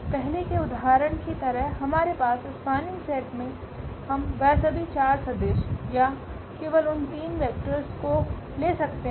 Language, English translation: Hindi, Like in the earlier example we have possibility in this spanning set taking all those 4 vectors or taking only those 3 vectors